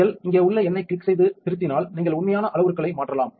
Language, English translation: Tamil, And if you click the number out here and edit then you can change the actual parameters